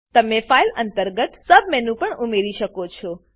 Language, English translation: Gujarati, You can also add a submenu under File